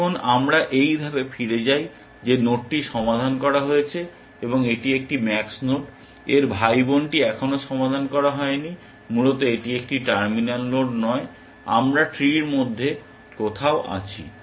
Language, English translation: Bengali, Now, we go back to this step that node is solved and that is a max node, its sibling is not yet solved essentially it is not a terminal node we are somewhere up in the tree